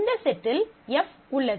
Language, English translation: Tamil, This set also has F